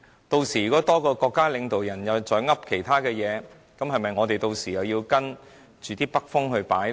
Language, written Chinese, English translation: Cantonese, 如果有多一位國家領導人說其他話，是否我們屆時又要跟隨北風擺呢？, How about if another State leader makes some other remarks should we have to follow the direction of the northerly wind as well?